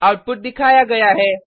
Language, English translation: Hindi, The output is as shown